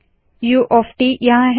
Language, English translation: Hindi, U of t is here